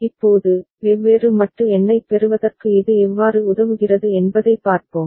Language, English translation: Tamil, Now, let us see how it helps in getting different modulo number ok